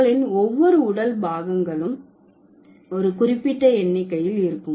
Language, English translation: Tamil, So, each of your body part will have a certain number